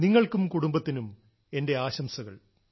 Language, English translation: Malayalam, Many good wishes to you and family from my side